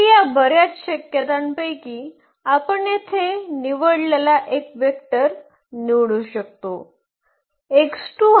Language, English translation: Marathi, So, out of these many possibilities we can just pick one vector that we have done here for instance